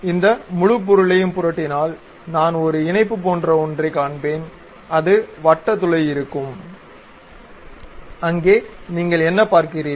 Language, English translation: Tamil, If I flip this entire object I will see something like a link, there will be a circular hole and there is what do you see